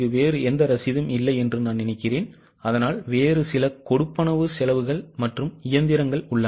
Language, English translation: Tamil, I think there is no other receipt but there are few other payments, expenses as well as machinery